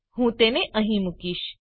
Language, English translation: Gujarati, I am going to place it here